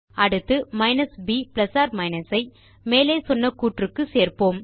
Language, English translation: Tamil, Next, we will add the minus b plus or minus to the above expression and put them inside curly brackets